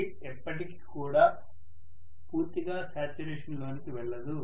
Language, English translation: Telugu, Air is never going to go through saturation absolutely